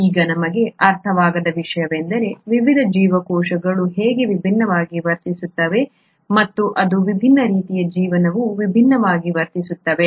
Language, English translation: Kannada, Now what we do not understand is how is it that different cells behave differently or different forms of life behave differently